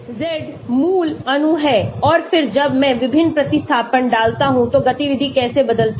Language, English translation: Hindi, Z is the parent molecule and then when I put different substituents how the activity changes